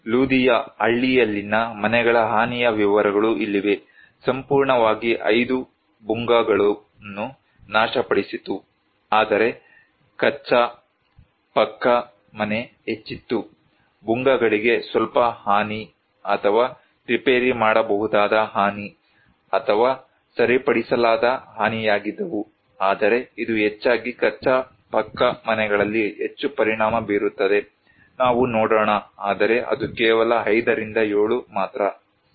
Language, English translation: Kannada, Here are the detail extent of damage of the houses in Ludiya village, totally that destroyed Bhungas was 5, whereas the Kaccha, Pucca house was much higher, Bhungas were little damage or repairable damage or irreparable damage, but it is mostly the most affected at the Kaccha, Pucca houses let us see whereas, it is only 5 to 7, okay